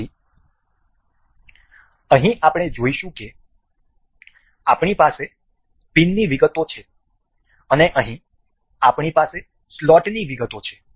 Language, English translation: Gujarati, So, we will here we can see we have the details of pin and here we have the details of slot